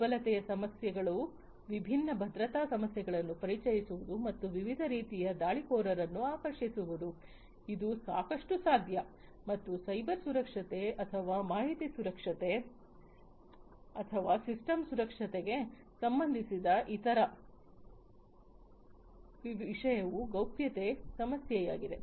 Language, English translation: Kannada, Issues of vulnerability, introducing different security issues and attracting different types of attackers, this is quite possible, and the other very related issue to the cyber security or information security or system secure, is the privacy issue